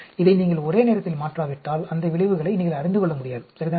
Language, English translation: Tamil, Unless you simultaneously change this, you will not able to study those effects, ok